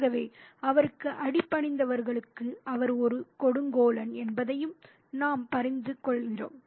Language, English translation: Tamil, So, we also get a sense that he is a tyrant to those who are subordinate to him